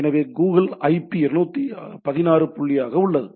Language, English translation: Tamil, So, it is all there Google IP as 216 dot this